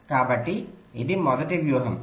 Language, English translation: Telugu, ok, so this was the first strategy